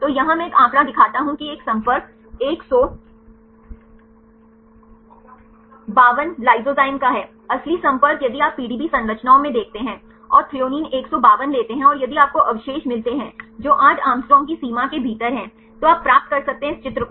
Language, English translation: Hindi, So, here I show a figure this is the contact a T 152 of lysozyme, the real contacts if you look into the PDB structure, and take the Threonine 152 and if you get the residues which are within the limit of 8 Å you can get this figure